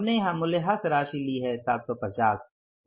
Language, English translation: Hindi, We have taken the depreciation amount here that is the 750